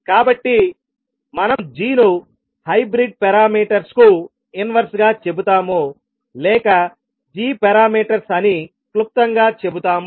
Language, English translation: Telugu, So, we will say g as inverse of hybrid parameters or we say in short as g parameters